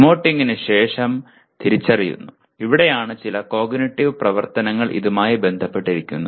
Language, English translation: Malayalam, This is where after emoting, recognizing this is where some cognitive activity is associated with that